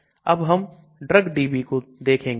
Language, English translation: Hindi, Now let us look at Drugdb